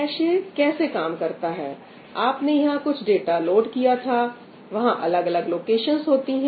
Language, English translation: Hindi, how does the cache work you have some data loaded over here, there are different locations